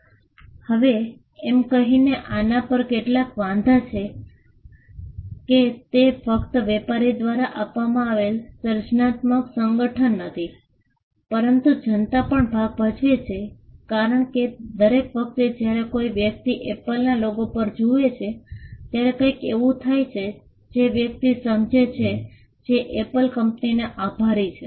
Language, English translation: Gujarati, Now, there are some objections to this by saying that, it is just not the creative association done by the trader, but the public also plays a part because, every time a person looks at the Apple logo, there is something that the person perceives to be attributed to the company Apple